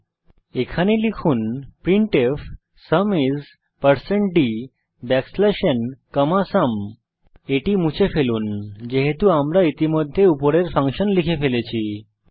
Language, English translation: Bengali, Hence type here printf(Sum is%d\n,sum) Delete this, as we have already called the function above